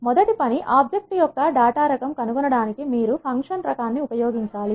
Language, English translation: Telugu, For example, the first task is to find the data type of the object